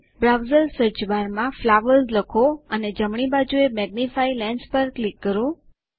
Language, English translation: Gujarati, In the browsers Search bar, type flowers and click the magnifying lens to the right